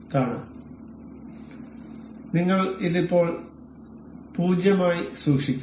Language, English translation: Malayalam, So, we will keep it 0 for now